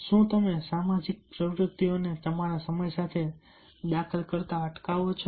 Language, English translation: Gujarati, do you prevent social activities from interfering with your time